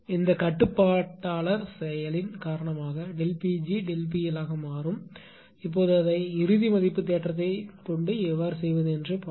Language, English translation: Tamil, And because of this controller action delta P g will become delta P L now look how to do it final value theorem